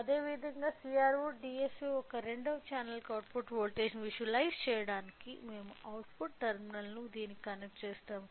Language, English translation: Telugu, Similarly, to visualize the output voltage to the second channel of CRO DSO in this case we have connected the output terminal to this